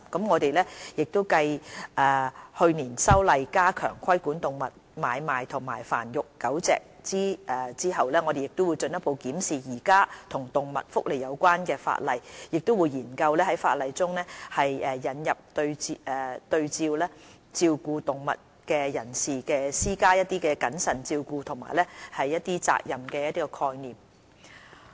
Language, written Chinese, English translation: Cantonese, 我們繼去年修例加強規管動物買賣和繁育狗隻後，會進一步檢視現行與動物福利有關的法例，亦會研究在法例中引入對照顧動物的人士施加謹慎照顧和責任的概念。, Subsequent to last years amendments to the law which tightened the regulation of animal trading and dog breeding we will further study the existing legislation related to animal welfare and explore introducing in the legislation a concept of positive duty of care on animal keepers